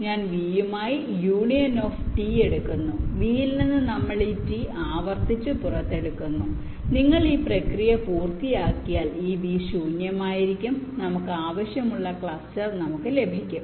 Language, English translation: Malayalam, we take the union of t with v, i, and we take out this t from v repeatedly and once you complete this process, this said v will be empty and we get our ah just desired cluster